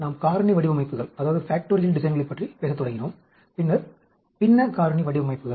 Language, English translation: Tamil, We have started talking about Factorial Designs and then, Fractional Factorial Designs